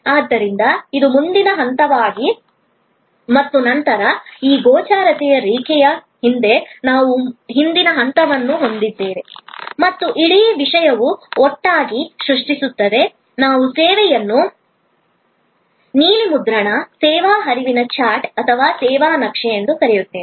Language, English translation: Kannada, And therefore, this is the front stage and then, behind this line of visibility, we have the back stage and the whole thing together is creates the, what we call the service blue print, the service flow chat or the service map